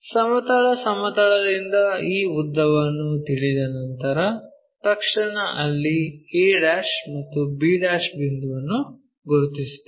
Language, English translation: Kannada, Once we know from the horizontal plane this much length, immediately we will locate a' and b' point there